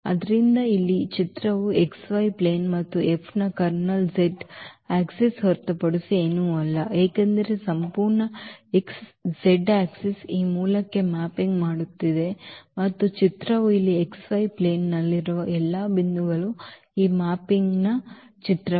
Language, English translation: Kannada, So, here the image is the xy plane and the kernel of F is nothing but the z axis because the whole z axis is mapping to this origin and the image means here that all the points in xy plane that is the image of this mapping